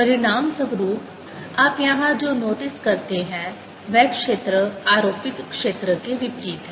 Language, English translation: Hindi, as a consequence, what you notice outside here the field is opposite to the applied field